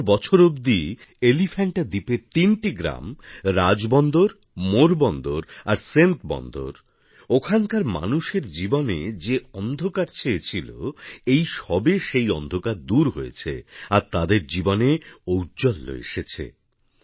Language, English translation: Bengali, For 70 years, the lives of the denizens of three villages of the Elephanta Island, Rajbunder, Morbandar and Centabandar, were engulfed by darkness, which has got dispelled now and there is brightness in their lives